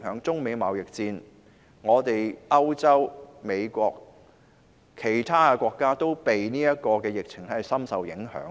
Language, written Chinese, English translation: Cantonese, 中美貿易戰、歐洲、美國或其他國家，都因為今次疫情而深受影響。, The China - United States trade war Europe the United States or other countries have all been greatly affected by the epidemic